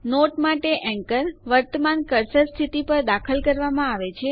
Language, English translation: Gujarati, The anchor for the note is inserted at the current cursor position